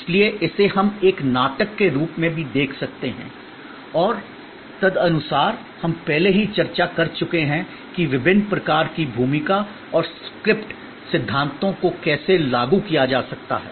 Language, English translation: Hindi, So, it can also we seen therefore as a drama and accordingly we have already discussed that how the different types of role and script theories can be applied